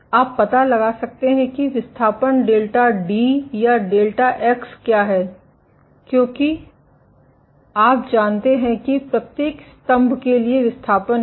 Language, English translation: Hindi, You can find out what is the displacement delta d or delta x is the displacement for each pillar